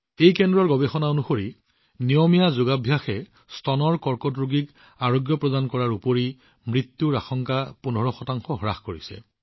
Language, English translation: Assamese, According to the research of this center, regular practice of yoga has reduced the risk of recurrence and death of breast cancer patients by 15 percent